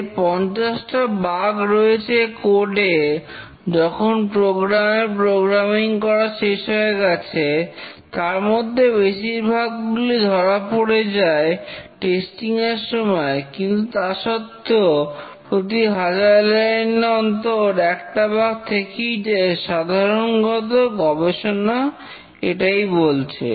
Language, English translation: Bengali, Out of the 50 bugs that were there after the programmer completed programming, by the time the testing is over, most of the bugs are detected, but still one bug per thousand lines of source code is typically present